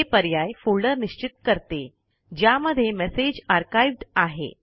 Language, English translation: Marathi, These options determine the folder in which the messages are archived